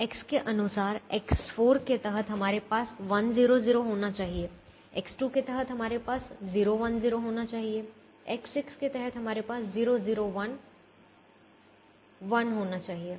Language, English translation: Hindi, so according to x under x four, we should have one zero, zero under x two we should have zero one